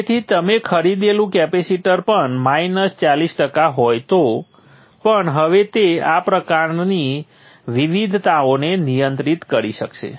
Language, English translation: Gujarati, So that even the capacitor that you have bought is minus 40% down, it will be able to handle these kind of variations